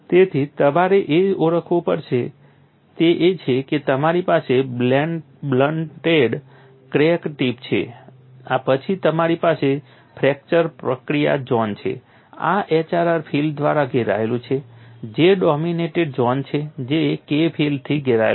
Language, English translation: Gujarati, So, what you will have to recognize is you have a blunted crack tip, then you have a fracture process zone this is engulfed by HRR field, which is J dominated zone which would be surrounded by K field and then you have a general stress field